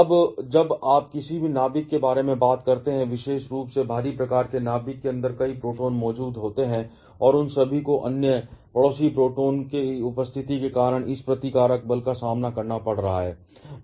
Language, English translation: Hindi, Now, when you talk about any nucleus, particularly those of heavier kind, there are several protons present inside the nucleus and all of them are facing this repulsive force because of the presence of other neighboring protons